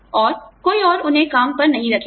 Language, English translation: Hindi, And, nobody else will hire them